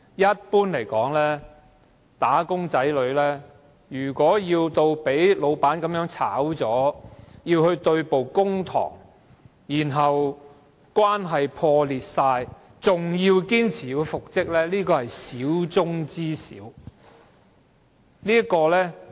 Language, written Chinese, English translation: Cantonese, 一般而言，"打工仔"被辭退後若與僱主對簿公堂，關係全面破裂，但仍堅持復職，這種情況可謂少之又少。, Generally speaking it is highly unlikely for the dismissed wage earners to insist on reinstatement after having legal disputes with their employers and suffering a relationship breakdown